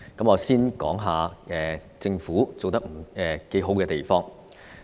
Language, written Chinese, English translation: Cantonese, 我先談政府做得不錯的地方。, I will first talk about where the Government is doing fairly well